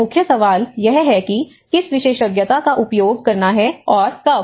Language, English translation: Hindi, So, the main question is what expertise to use and when